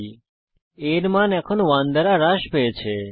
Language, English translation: Bengali, a is assigned the value of 5